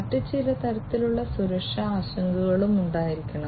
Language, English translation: Malayalam, There are few other types of security concerns that will have to be there